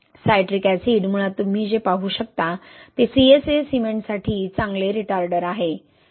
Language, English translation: Marathi, Citric acid basically what you can see that is a good retarder for CSA cement